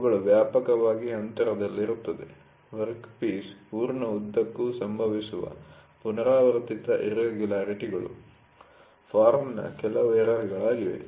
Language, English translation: Kannada, They are widely spaced repetitive irregularities occurring over a full length of the workpiece are some of the error of form